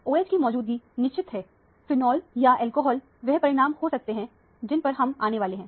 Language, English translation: Hindi, The presence of OH is confirmed; could be a phenol or an alcohol is the conclusion that we are arriving at